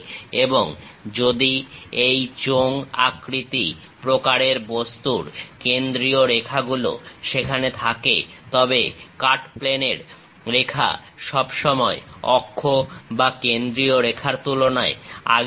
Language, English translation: Bengali, And if these are cylindrical kind of objects center lines are there; then cut plane line always have a precedence, compared to axis or center line